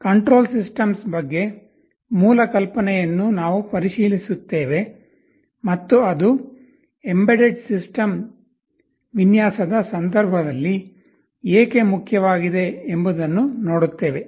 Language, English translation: Kannada, We shall look into the basic idea about control systems and why it is important in the context of embedded system design